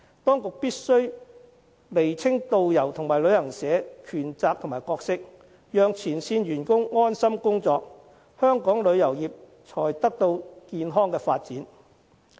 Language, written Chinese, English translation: Cantonese, 當局必須釐清導遊與旅行社的權責和角色，讓前線員工安心工作，香港旅遊業才可健康發展。, Thus the authorities must clarify the rights responsibilities and roles of tour guides and travel agencies to ease the mind of frontline staff at work in this way the tourism industry can develop in a healthy manner